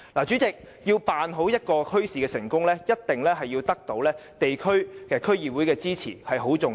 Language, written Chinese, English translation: Cantonese, 主席，要成功辦好一個墟市，必須得到地區和區議會的支持，這一點十分重要。, President it is important to note that success in holding a bazaar requires the support of the community and DC